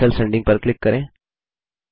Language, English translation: Hindi, Click Cancel Sending